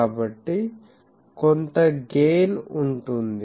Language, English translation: Telugu, So, there will be some gain